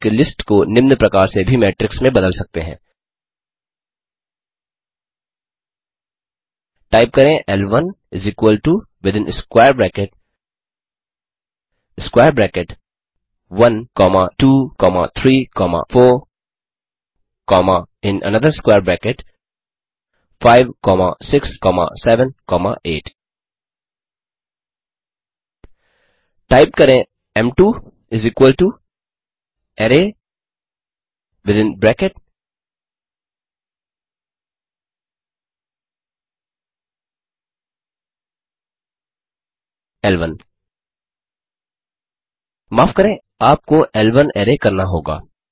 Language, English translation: Hindi, A list can also be converted to a matrix as follows, Type l1 = within square bracket square bracket 1 comma 2 comma 3 comma 4 comma in another square bracket 5 comma 6 comma 7 comma 8 Type m2 = array within bracket 11 Sorry you have to type l1 array